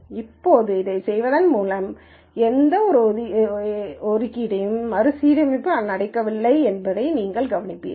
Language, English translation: Tamil, Now, if we notice that by doing this there was no assignment reassignment that happened